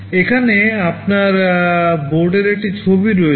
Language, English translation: Bengali, Here you have a picture of the board